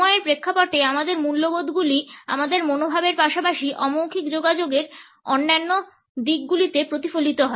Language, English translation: Bengali, Our values in the context of time are reflected in our attitudes as well as in other aspects of nonverbal communication